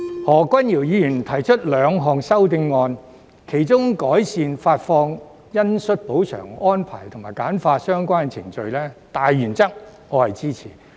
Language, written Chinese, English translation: Cantonese, 何君堯議員提出兩項修正案，其中有關改善發放恩恤補償安排及簡化相關程序的大原則，我是支持的。, Dr Junius HO proposes two amendments of which my support is given to the general principle on improving the arrangements for granting compensation on compassionate grounds and streamlining the relevant procedures